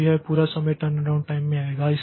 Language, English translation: Hindi, So, that is the turnaround time